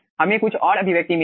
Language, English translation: Hindi, we will be getting some another expression